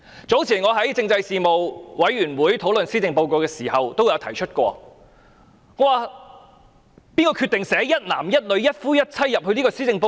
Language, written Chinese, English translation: Cantonese, 早前，我在政制事務委員會會議上討論施政報告時，問道誰人決定將"一男一女、一夫一妻"寫入施政報告？, Earlier on when I discussed the Policy Address at the meeting of the Panel on Constitutional Affairs I asked who decided to include the phrase monogamy and heterosexual in the Policy Address